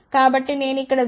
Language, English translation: Telugu, So, when we want to send 0